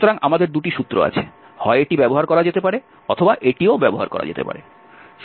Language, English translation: Bengali, So, we have the two formula, either this can be used or this can be used